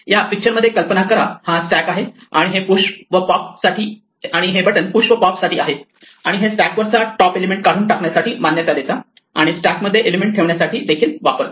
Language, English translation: Marathi, In this picture imagine this is a stack and the buttons were allowed to push are pop and push let they are allowed to remove the top elements from the stack; they are allowed to put an element into the stack